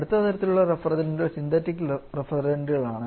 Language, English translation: Malayalam, Next kind of refrigerants we have a synthetic refrigerants